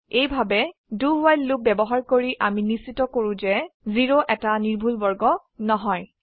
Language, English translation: Assamese, This way, by using a do while loop, we make sure that 0 is not considered as a perfect square